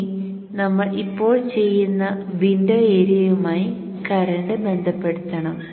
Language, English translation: Malayalam, We now have to relate the current to the window area which we will do now